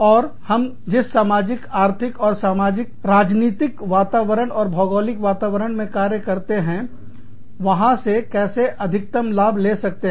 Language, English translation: Hindi, And, how can we take the maximum benefit, from the socio economic, and socio political environment, and the geographical environment, that we operate here